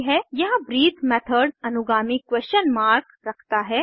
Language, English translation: Hindi, Here the breathe method has a trailing question mark (.)